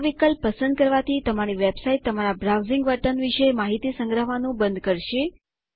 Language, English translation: Gujarati, Selecting this option will stop websites from storing information about your browsing behavior